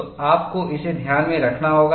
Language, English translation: Hindi, So, we have to keep this in mind